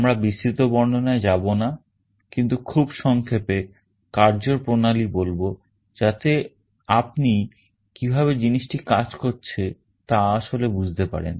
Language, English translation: Bengali, We shall not be going into detail, but very brief working principle so that you actually understand how the thing is working